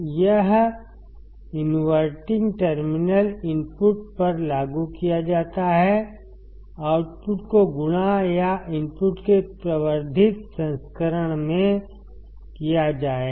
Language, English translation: Hindi, It is applied to the inverting terminal input, output will be multiplied or the amplified version of the input